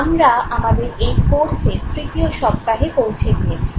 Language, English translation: Bengali, We are now in our third week